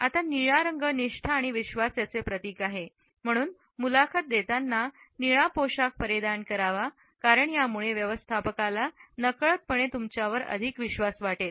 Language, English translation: Marathi, Now, the color blue is associated with loyalty and trust, so the simple act of wearing blue to the interview will make the hiring manager unconsciously trust you more